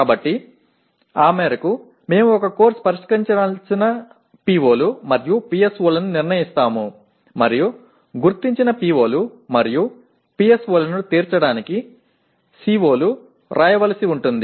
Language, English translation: Telugu, So to that extent we may apriori determine the POs and PSOs a course should address and the COs will have to be written to meet this identified the POs and PSOs